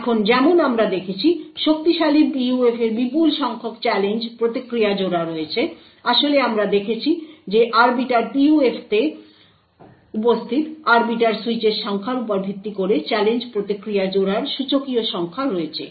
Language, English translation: Bengali, Now strong PUFs as we have seen has huge number of challenge response pairs, in fact we have seen that there is exponential number of challenge response pairs based on the number of arbiter switches present in the Arbiter PUF